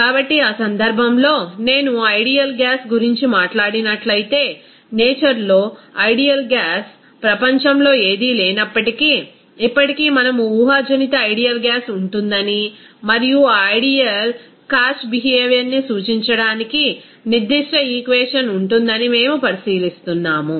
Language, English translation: Telugu, So, in that case if I talk about that ideal gas, though there is no gas in the world that will be ideal in nature, but still we are considering that there will be hypothetical ideal gas and there will be certain equation to represent that ideal cash behavior